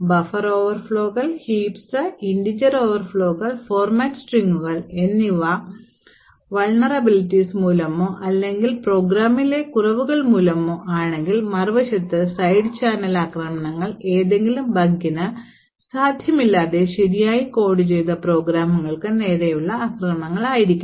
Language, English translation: Malayalam, While these like the bugs buffer overflows, heaps, integer overflows and format strings are due to vulnerabilities or due to flaws during the programming, side channel attacks on the other hand, could be attacks on programs which are actually coded correctly without any presence of any bug